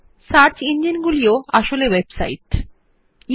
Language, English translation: Bengali, After all, search engines are websites too